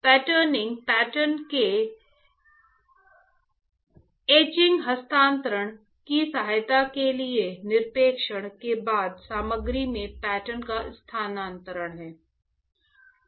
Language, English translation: Hindi, Patterning is transfer of pattern into material after deposition in order to prepare for etching transfer of pattern